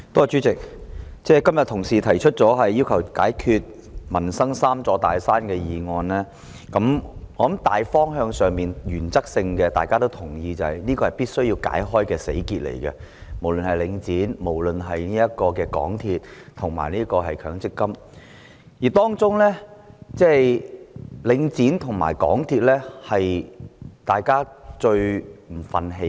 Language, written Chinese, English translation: Cantonese, 主席，今天同事提出"要求政府解決民生'三座大山'"的議案，我相信大家在大方向和原則上也認同無論是領展房地產投資信託基金、香港鐵路有限公司或強積性公積金對沖機制，均是必須解開的死結。, President regarding the motion on Requesting the Government to overcome the three big mountains in peoples livelihood proposed by a colleague today I think we all agree as a general direction and in principle that the Link Real Estate Investment Trust Link REIT the MTR Corporation Limited MTRCL and the offsetting mechanism of the Mandatory Provident Fund are deadlocks that must be broken